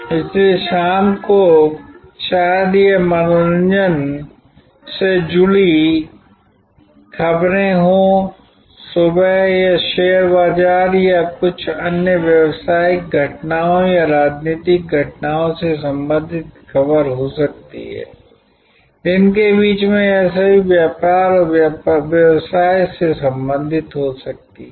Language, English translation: Hindi, So, the evening it maybe news related to entertainment, in the morning it may be news related to the stock market or certain other business happenings or political happenings, in the middle of the day it could be all related to trade and business